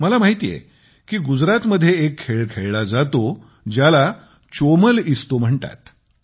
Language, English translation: Marathi, I known of a game played in Gujarat called Chomal Isto